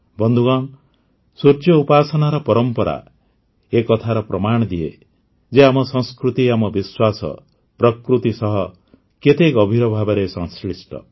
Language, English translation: Odia, Friends, the tradition of worshiping the Sun is a proof of how deep our culture, our faith, is related to nature